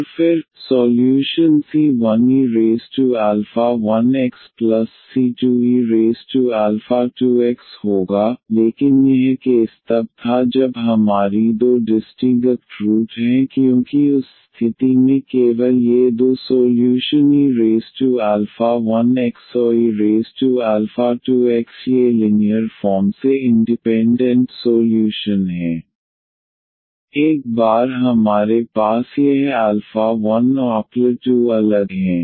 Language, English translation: Hindi, And then, the solution will be c 1 e power alpha 1 x plus c 2 e power alpha 2 x, but this was the case when we have two distinct roots because in that case only these two solutions e power alpha 2 x and e power alpha 1 x these are linearly independent solutions, once we have that this alpha 1 and alpha 2 are distinct